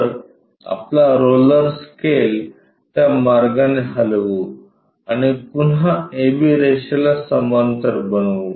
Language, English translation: Marathi, So, so let us move our roller scaler in that way and again parallel to a b line